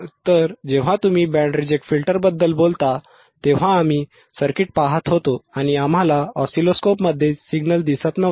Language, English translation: Marathi, So, when you talk about band reject filter, right we were looking at the circuit and we were not able to see the signal in the oscilloscope right